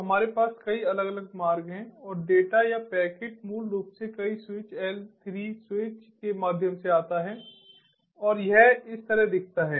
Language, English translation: Hindi, so we have multiple different routes and the data, or the packet, basically traverses through multiple switches, l three switches, and this is how it looks like